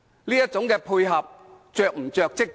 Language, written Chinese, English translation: Cantonese, 這種配合是否過於着跡？, Is such act of coordination too obvious?